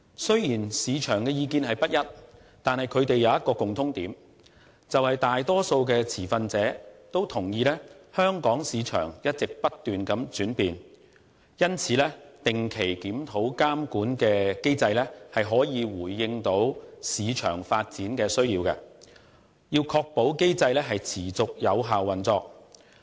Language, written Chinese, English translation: Cantonese, 雖然市場的意見不一，但卻有一個共通點，便是大多數持份者均同意香港市場一直不斷轉變，因此定期檢討監管的機制可以回應市場發展的需要，確保機制持續有效運作。, Despite the various views on the market such views have one thing in common the majority of stakeholders agree that the Hong Kong market is evolving so a regular review of the regulatory mechanism can respond to the development needs of the market and ensure its effective operation on an ongoing basis